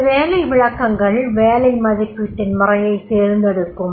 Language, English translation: Tamil, These job descriptions will be giving the selecting the method of job evaluation